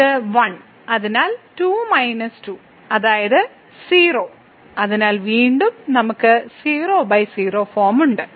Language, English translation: Malayalam, So, this is 1 so, 2 minus 2 which is 0 so, again we have 0 by 0 form